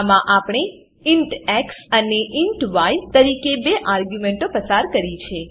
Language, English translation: Gujarati, In these we have passed two arguments int x and int y